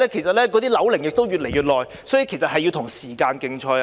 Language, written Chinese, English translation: Cantonese, 鑒於樓齡越來越高，局長要與時間競賽。, Given that the buildings are ageing the Secretary must compete with time